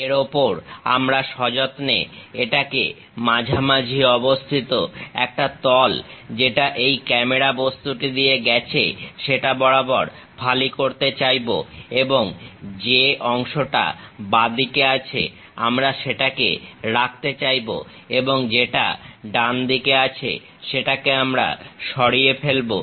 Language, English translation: Bengali, On that we will like to slice it precisely at a mid plane passing through this camera object and we will like to retain the portion which is on the left side and remove the portion which is on the right side